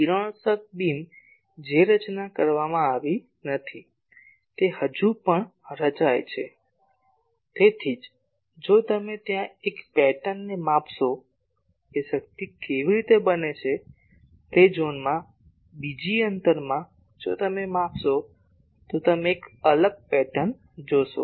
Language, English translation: Gujarati, The radiation beam that has not been formed, it is still forming that is why if you measure there a pattern that how the power is there and in that zone in another distance if you measure you will see a different pattern